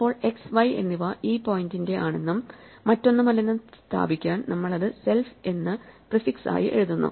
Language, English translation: Malayalam, Now, in order to designate that the x and y belong to this point and no other, we prefix it by self